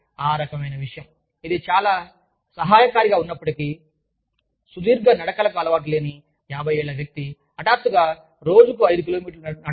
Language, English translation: Telugu, So, that kind of a thing, even though, it is very helpful, you cannot expect a 50 year old person, who is not used to long walks, to suddenly start walking, 5 kms a day